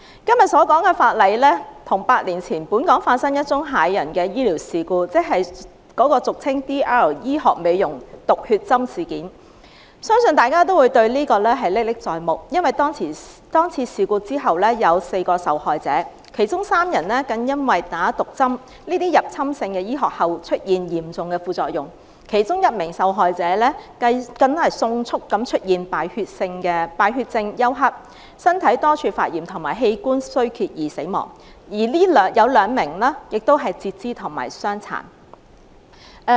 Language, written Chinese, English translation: Cantonese, 今天所說的法例修訂源於8年前本港發生的一宗駭人醫療事故，即 DR 醫學美容集團毒血針事件，相信大家對此事仍歷歷在目，因為那次事故有4名受害人，其中3人更因注射了毒針，這種入侵性的醫學療程後出現嚴重的副作用，其中一名受害人更迅速出現敗血症休克，身體多處發炎及器官衰竭而死亡，有兩名受害人需要截肢，造成永久傷殘。, It was about some harmful infusion treatments conducted by a beauty treatment corporation called DR . I believe Members still have vivid memories of the incident which had four victims . Three of them experienced serious side effects after receiving the infusion; one of them quickly developed septic shock multiple organ inflammation and failure after receiving the intrusive medical treatment and died; and two victims required an amputation which led to permanent disability